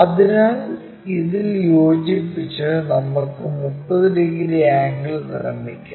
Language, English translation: Malayalam, So, we just have to rotate this by 30 degrees